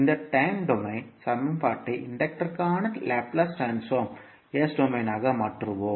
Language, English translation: Tamil, So, we will convert this time domain equation for inductor into Laplace domain that is s domain